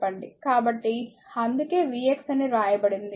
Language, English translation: Telugu, So, that is why it is written say v x